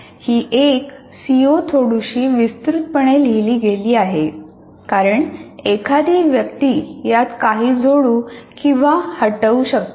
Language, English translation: Marathi, That is a CO written somewhat elaborately because one can add or delete some of the items in this